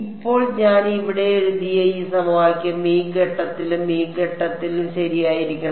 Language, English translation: Malayalam, Now, this equation that I have written over here, it should be valid at this point also and at this point also right